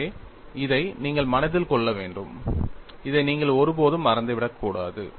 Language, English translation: Tamil, So, this, you will have to keep in mind;, you should never forget this;